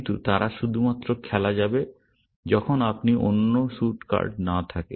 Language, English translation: Bengali, But they can only be played, when you do not have the other suit cards